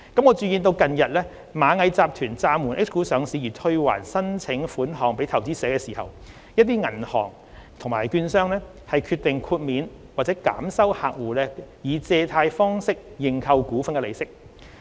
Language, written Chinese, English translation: Cantonese, 我注意到近日螞蟻集團暫緩 H 股上市而退還申請款項予投資者時，一些銀行及券商決定豁免或減收客戶以借貸方式認購股份的利息。, I notice that in refunding the subscription money to investors following Ant Groups recent suspension of H - share listing some banks and brokerage firms have decided to waive or reduce the interests payable by clients who had subscribed the shares through loans